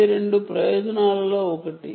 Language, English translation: Telugu, that is one of the purposes